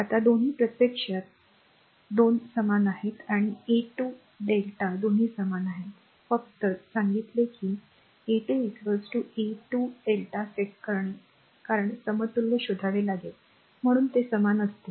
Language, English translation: Marathi, Now both are actually same R 1 2 star and R 1 2 delta both are equal just we said that setting R 1 2 star is equal to R 1 2 delta because you have to find out equivalent hence they will be equal